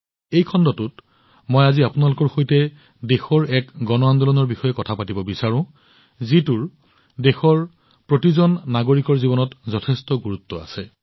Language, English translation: Assamese, In this episode, I want to discuss with you today one such mass movement of the country, that holds great importance in the life of every citizen of the country